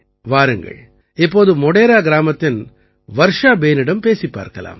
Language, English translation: Tamil, Let us now also talk to Varsha Behen in Modhera village